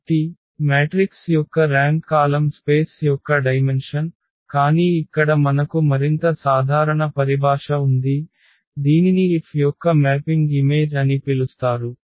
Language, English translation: Telugu, So, the rank of the matrix was the dimension of the column space, but here we have the more general terminology that is called the image of the mapping F